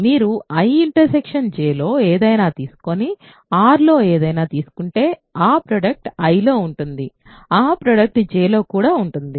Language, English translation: Telugu, If you take something in I intersection J and take something in R the product is in I the product is also in J